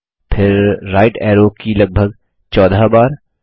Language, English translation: Hindi, Then press the right arrow key about 14 times